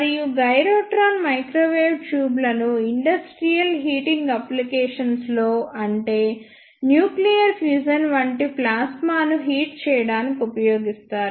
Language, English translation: Telugu, And the gyrotron microwave tubes are used in industrial heating applications such as in nuclear fusion, they are used to heat the plasmas